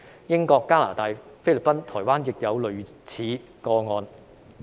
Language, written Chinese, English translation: Cantonese, 英國、加拿大、菲律賓、台灣亦有類似個案。, Similar cases have also been found in the United Kingdom Canada the Philippines and Taiwan